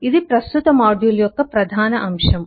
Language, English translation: Telugu, that will be the main state of our current module